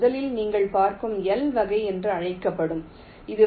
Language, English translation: Tamil, first is called l type